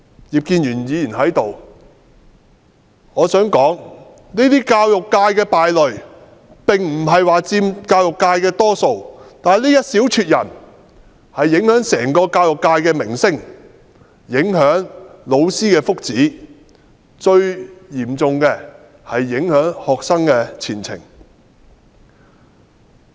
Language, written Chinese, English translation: Cantonese, 葉建源議員在這裏，我想說教育界的敗類並不是佔大多數，但這一小撮人卻影響整個教育界的名聲和老師的福祉，最嚴重的是，影響學生的前程。, Noticing that Mr IP Kin - yuen is here I would like to say that although the black sheep are not the majority in the education sector the small number of them have affected the reputation of the entire education sector and the welfare of teachers . Most importantly these black sheep have affected the future of students